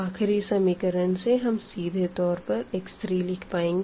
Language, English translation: Hindi, So, the solution will be from the last equation we can directly write down our x 3